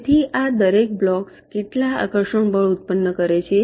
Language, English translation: Gujarati, so each of these blocks is ah, generating some attractive forces